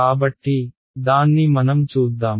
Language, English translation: Telugu, So, let us have a look at that